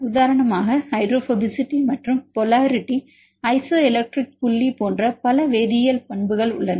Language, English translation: Tamil, There are several chemical properties for example, hydrophobicity and polarity isoelectric point several chemical properties right